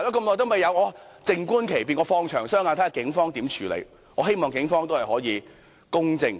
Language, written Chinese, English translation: Cantonese, 我只好靜觀其變，"放長雙眼"，看警方會如何處理，我希望警方能公正處理。, I can only wait and see how the Police will handle the case and hope that it will be treated fairly